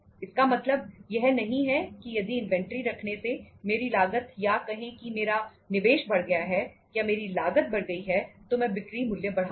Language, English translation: Hindi, It doesnít mean that if my because by keeping inventory my cost of say my investment has gone up so or my cost has increased so I would be increasing the selling price